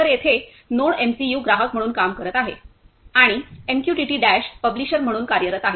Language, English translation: Marathi, So, here NodeMCU is working as a subscriber and MQTT Dash is working as a publisher